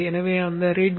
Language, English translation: Tamil, So open that readme